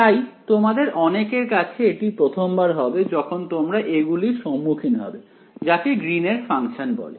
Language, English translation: Bengali, So, to many of you it will be the first time that you are encountering this object called Greens functions ok